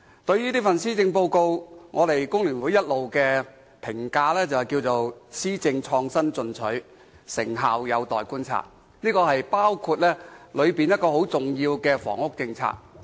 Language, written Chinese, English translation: Cantonese, 對於這份施政報告，工聯會的評價是："施政創新進取，成效有待觀察"，包括當中很重要的房屋政策。, FTUs opinion on this Policy Address is that the policies it puts forward are innovative and progressive but their effectiveness remains to be seen . This comment is also applicable to the important policy on housing